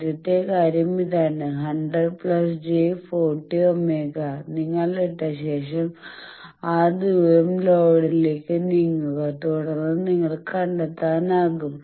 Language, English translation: Malayalam, So, first thing is this 100 plus j 40 you put then move towards load that distance and then you can locate